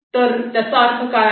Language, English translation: Marathi, what does this means